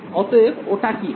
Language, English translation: Bengali, So, what will this be